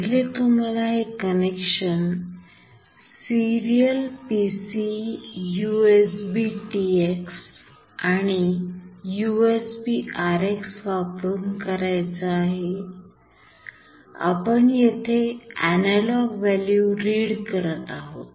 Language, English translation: Marathi, Now here, first you see we have to make this connection serial PC USBTX and USBRX this is the first thing, you have to do and here we are reading an analog value